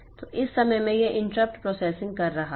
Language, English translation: Hindi, So, in this time it is doing the inter up processing